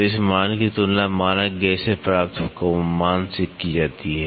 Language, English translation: Hindi, So, this value is compared with the value obtained with the standard gauge